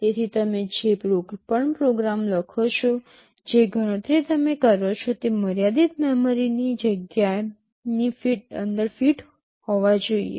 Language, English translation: Gujarati, So, whatever program you write, whatever computation you do they must fit inside that limited memory space